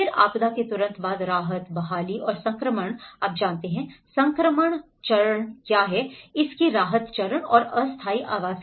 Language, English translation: Hindi, Then immediately after the disaster, the relief, recovery and transition you know, what is the transition phase, the relief phase of it and the temporary housing